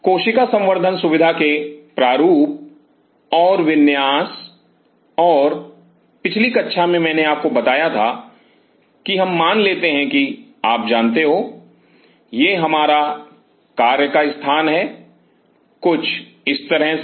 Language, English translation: Hindi, Design and layout of cell culture facility, and in the last class I told you let us assume that you know, this is our working area, something like this